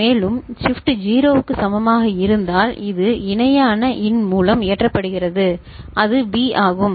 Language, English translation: Tamil, And, if Shift is equal to 0 then this is getting loaded by the parallel in that is there which is B